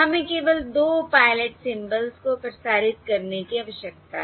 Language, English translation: Hindi, We need to transmit only 2 pilot symbols